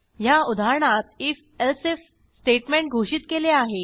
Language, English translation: Marathi, I have declared an if elsif statement in this example